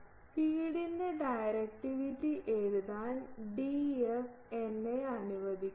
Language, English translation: Malayalam, D f let me write directivity of feed D f